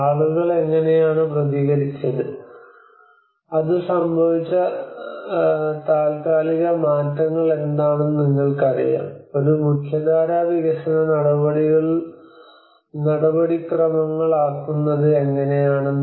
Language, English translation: Malayalam, How people have responded to it what are the temporal changes it occurred you know how to make it into a mainstream development procedures